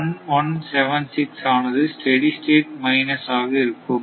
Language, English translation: Tamil, 01176 will become the steady state minus only, right